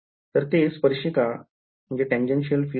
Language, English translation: Marathi, 0 right, so this is a tangential field